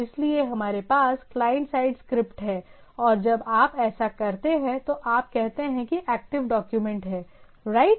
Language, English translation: Hindi, So we have this server side scripts which, sorry client side scripts and when you do that when you say that active documents, right